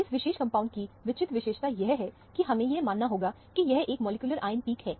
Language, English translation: Hindi, The striking free feature of this particular compound is that, the molecular ion peak; we have to assume that, this is the molecular ion peak